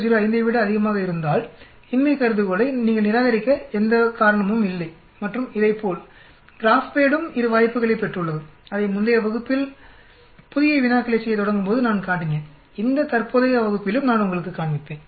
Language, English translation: Tamil, 05 generally, there is no reason for you to reject the null hypothesis and similar to this, we also have the GraphPad also has got both the options I showed in the previous class when I come and start doing new problems, I will show you in this present class also